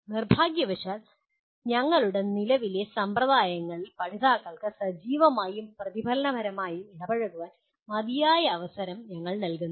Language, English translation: Malayalam, Unfortunately in our current practices we do not give adequate opportunity for learners to engage actively and reflectively